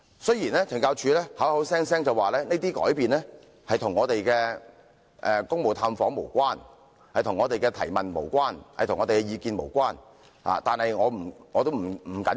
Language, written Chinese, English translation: Cantonese, 懲教署聲稱這些改變與我們的公務探訪無關，亦與我們的提問及意見無關，這些並不重要。, CSD claimed that such changes had nothing to do with our duty visits . Neither were they related to the queries and views raised by us . Never mind about that